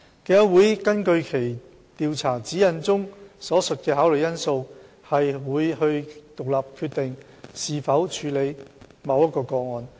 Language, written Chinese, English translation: Cantonese, 競委會根據其《調查指引》中所述的考慮因素，會獨立決定是否處理某一個案。, The Commission will make an independent decision on whether or not to process a specific case based on the considerations stated in the Guideline on Investigations